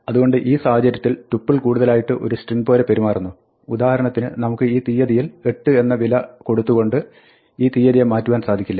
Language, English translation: Malayalam, So, tuple behaves more like a string in this case, we cannot change for instance this date to 8 by saying date at position one should be replaced by the value 8